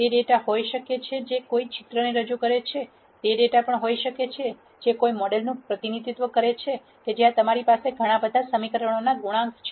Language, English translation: Gujarati, It could be data which represents a picture; it could be data which is representing the model where you have the coe cients from several equations